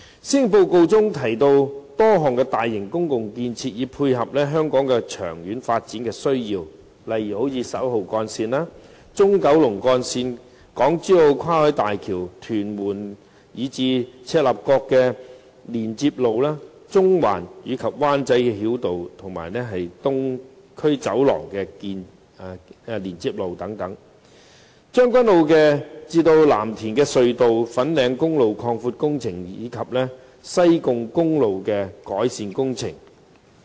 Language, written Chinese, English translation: Cantonese, 施政報告中提到多項大型公共建設，以配合香港的長遠發展需要，例如11號幹線、中九龍幹線、港珠澳跨海大橋、屯門至赤鱲角連接路、中環及灣仔繞道和東區走廊連接路、將軍澳─藍田隧道、粉嶺公路擴闊工程，以及西貢公路的改善工程等。, A number of large - scaled public project are mentioned in the policy address which will tie in with the long - term development need of Hong Kong such as Route 11 the Central Kowloon Route the Hong Kong - Zhuhai - Macao Bridge the Tuen Mun - Chek Lap Kok Link the Central - Wan Chai Bypass and Island Eastern Corridor Link the Tseung Kwan O - Lam Tin Tunnel the widening of Fanling Highway and the Hirams Highway improvement works